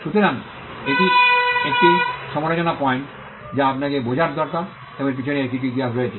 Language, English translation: Bengali, So, this is a critical point that you need to understand, and it has some history behind it